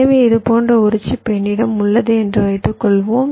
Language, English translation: Tamil, so what i mean to say is that suppose i have a chip like this, so i have a clock pin out here